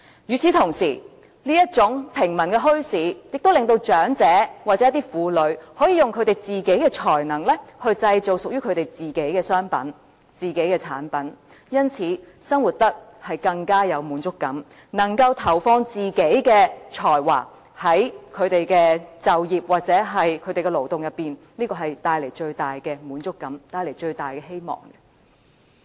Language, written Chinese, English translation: Cantonese, 與此同時，這種平民墟市亦令長者或婦女可以用自己的才能製造屬於自己的商品和產品，因而生活得更有滿足感，能夠投放自己的才華在他們的就業或勞動中，這會帶來最大的滿足感和希望。, At the same time such bazaars of the common people can enable elderly people and women to make their own commodities and products with their personal talents thus giving them a sense of fulfilment in life . In this way they will be able to apply their talents to their jobs or work bringing to themselves the greatest degree of satisfaction and hope